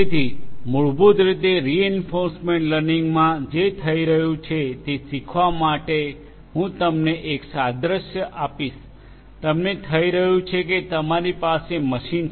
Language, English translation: Gujarati, So, basically what is happening in reinforcement learning is that I will give you an analogy in reinforcement learning what is happening is that you have a machine